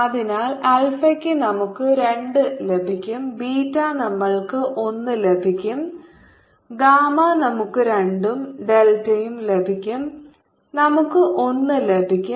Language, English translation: Malayalam, so for alpha will get two, beta will get one, gamma will get two and delta will get